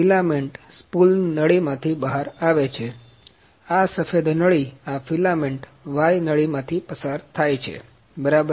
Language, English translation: Gujarati, The filament the spool is coming through this tube, the white tube, the filament is coming through this y tube ok